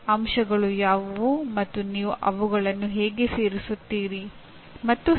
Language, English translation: Kannada, What are the elements and how do you include them and so on